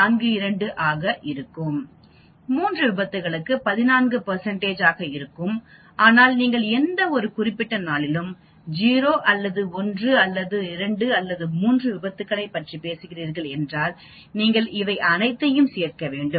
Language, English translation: Tamil, 42 percent, for 3 accidents it will be 14 percent, but if you are talking about 0 or 1 or 2 or 3 accidents on any particular day, you need to add all these